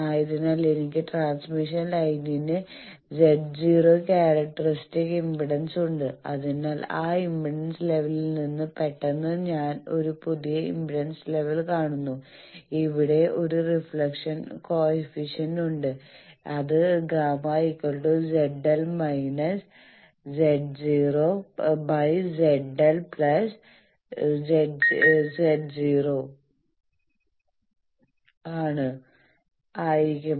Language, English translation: Malayalam, Then since it is also the case of the previous slide that I have an impedance Z naught characteristic impedance of the transmission line, so from that impedance level suddenly I am seeing a new impedance level Z L there will be a reflection and then the reflection coefficient will be Z L minus Z naught by Z L plus Z naught